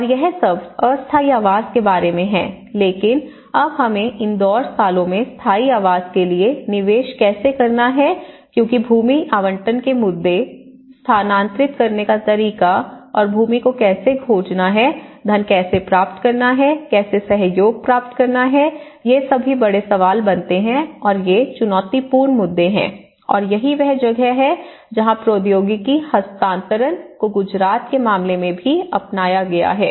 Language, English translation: Hindi, And this is all about the temporary housing but then when we moved on how in these 2 years, how we have to invest for the permanent housing because the land allocation issues, way to relocate and how to find the land, how to get the money, how to get the collaborations, all these becomes big questions you know and these are challenging issues and this is where the technology transfer also has been adopted in Gujarat case